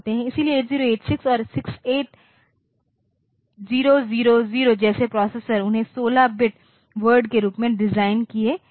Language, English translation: Hindi, So, processors like 8086 and 68000 they were designed as 16 bit word